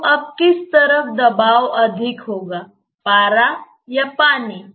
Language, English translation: Hindi, So, now on which side the pressure will be more mercury or water